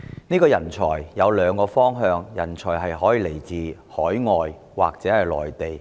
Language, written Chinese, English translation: Cantonese, 所謂人才，有兩個來源：來自海外或內地。, The so - called talent has two sources overseas or Mainland